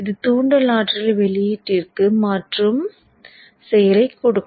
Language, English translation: Tamil, So this would give the action of transferring the inductance energy into the output